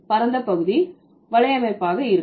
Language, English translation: Tamil, Van would be wide area network